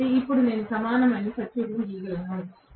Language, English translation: Telugu, So, I can draw now the equivalent circuit